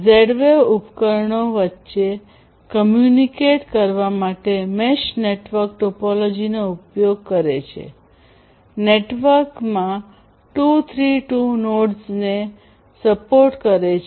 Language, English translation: Gujarati, So, Z wave uses a mesh network topology to communicate among the devices, supporting up to about 232 nodes in a network